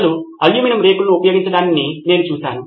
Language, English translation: Telugu, I have seen people use aluminum foils